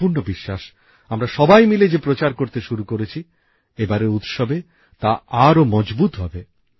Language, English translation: Bengali, I am sure that the campaign which we all have started together will be stronger this time during the festivals